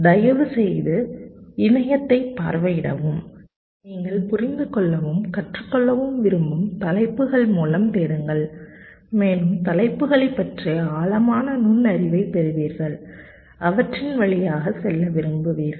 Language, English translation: Tamil, please visit the web, search through the topics you want to understand and learn and you will get much more deep insight into the topics wants to go through them